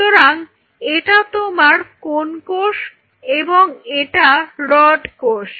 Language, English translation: Bengali, So, this is your Cone and this is your Rod